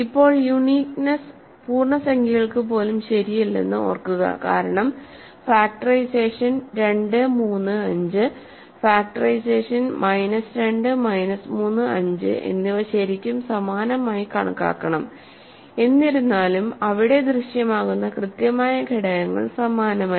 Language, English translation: Malayalam, So now, remember uniqueness on the nose is not true even for integers because, the factorization 2 3 5 and factorization minus 2 minus 3 5 should be considered really same, though the exact elements that appear there are not same